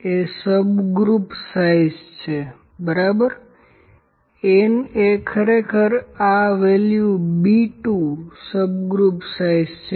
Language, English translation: Gujarati, N is my subgroup size, ok, n is actually this value B 2 subgroup size